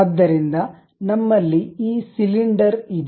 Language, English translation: Kannada, So, we have this cylinder